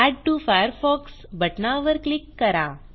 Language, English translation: Marathi, Click on the Add to Firefox button